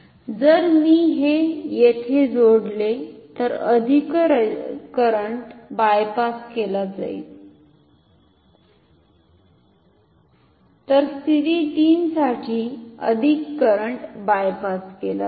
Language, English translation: Marathi, So, if I connect it here more current is bypassed so for position 3 more current is bypassed from the meter